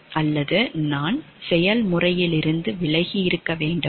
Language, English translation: Tamil, Or should I keep myself away from the process